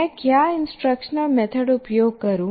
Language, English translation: Hindi, What instructional method do I use